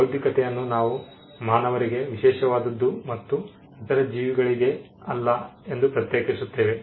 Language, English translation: Kannada, We also distinguish intellectual as something that is special to human beings and not to other beings